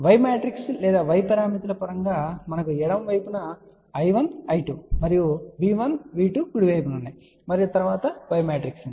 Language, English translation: Telugu, In terms of Y matrix or Y parameters we have I 1, I 2 on the left side and V 1, V 2 or on the right side and then there is a Y matrix